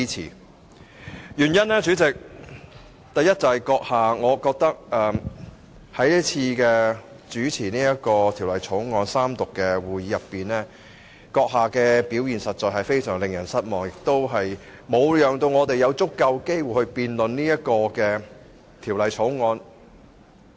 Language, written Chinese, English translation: Cantonese, 主席，原因是：第一，我認為主席你在主持今次《條例草案》三讀的會議時，表現實在令人非常失望，沒有讓議員有足夠機會辯論這項《條例草案》。, President here are my reasons First President I think your performance in presiding over the Third Reading debate session of todays meeting in respect of the Bill was rather disappointing because Members were not given sufficient opportunities to debate the Bill